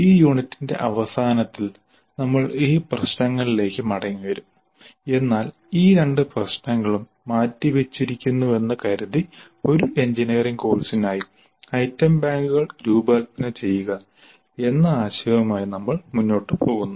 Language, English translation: Malayalam, We will come back to this issue towards the end of this unit but for the present assuming that these two issues are deferred we will proceed with the idea of designing the item banks for an engineering course